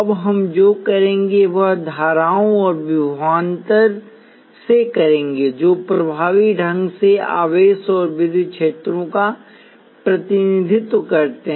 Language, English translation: Hindi, Now what we will do is deal with currents and voltages which effectively represent charges and electric fields in some way